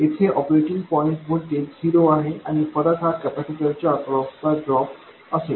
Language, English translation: Marathi, The operating point voltage here is 0 and the difference will be dropped across the capacitor